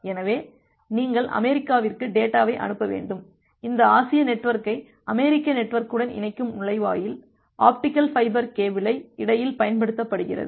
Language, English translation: Tamil, So, you need to send the data to USA so, the gateway which is connecting this Asian network to the US network that uses optical fiber cable in between